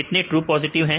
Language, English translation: Hindi, How many true positives